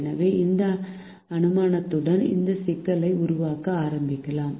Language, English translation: Tamil, so, with this assumption letter start for this problem